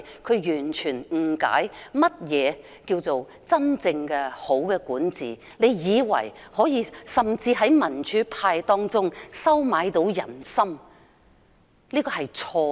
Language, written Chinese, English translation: Cantonese, 她完全不理解何謂真正的良好管治，她甚至以為可以收買民主派的人心，這是錯誤的。, She knows nothing about genuine good governance and wrongly thinks that she can win the hearts of democrats . That is wrong